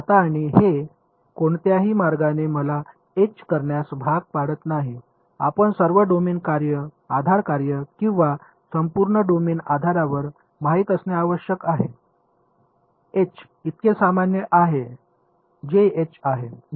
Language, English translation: Marathi, Now, and this does not in any way force me to have H to be you know sub domain basis functions or entire domain basis H is H whatever it is so a very general